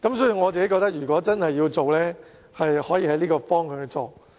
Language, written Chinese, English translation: Cantonese, 所以，我認為如果政府真的要做，可循着這個方向。, If the Government is really determined to do so it may work in this direction